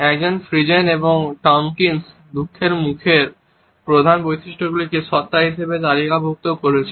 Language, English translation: Bengali, Ekman, Friesen and Tomkins have listed main facial features of sadness as being